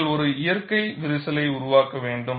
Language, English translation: Tamil, You have to develop a natural crack